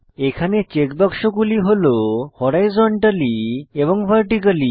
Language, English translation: Bengali, Here we have two check boxes Horizontally and Vertically